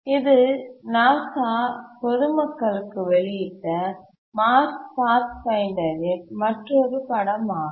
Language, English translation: Tamil, This is another image from the Mars Pathfinder, Cotsie NASA, released to the public